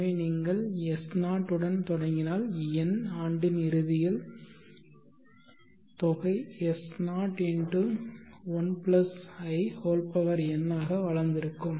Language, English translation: Tamil, So if you begin with s0 the end of nth year the sum would have grown to s0 + in